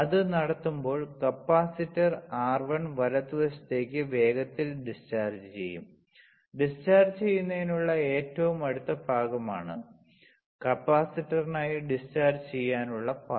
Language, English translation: Malayalam, So, when it is conducting the capacitor will quickly discharged through R1 right, it is a closest part to discharge is the path to discharge for the capacitor, right